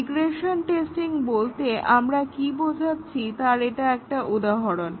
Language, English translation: Bengali, This is just an example to illustrate what exactly we mean by regression testing